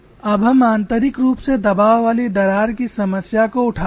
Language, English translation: Hindi, Now let us take a problem of internally pressurized crack